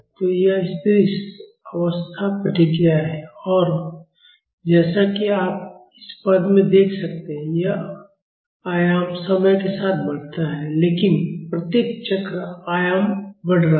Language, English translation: Hindi, So, this is the steady state response; and as you can see in this term, this is the amplitude increases with time, but each cycle the amplitude is increasing